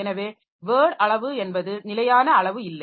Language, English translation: Tamil, So, there is no fixed size for word